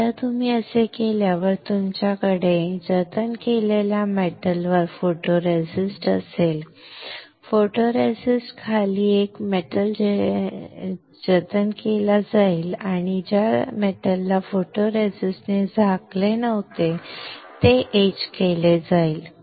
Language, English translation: Marathi, Once you do that you will have photoresist on the metal saved, there is a metal below the photoresist will be saved and the metal which was not covered by photoresist will get etched